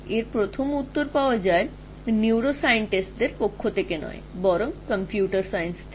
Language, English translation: Bengali, And the first answer which came from was not from neuroscientist, but it came from computer sciences actually